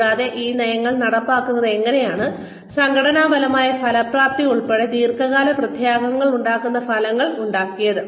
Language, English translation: Malayalam, And, how the implementation of these policies produced outcomes, that have long term consequences, including organizational effectiveness